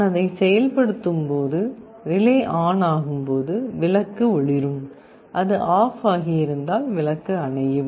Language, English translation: Tamil, When I am activating it and the relay becomes on, the bulb will glow, and if it is off the bulb will be off this is how it works